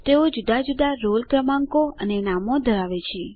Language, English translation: Gujarati, They have different roll numbers and names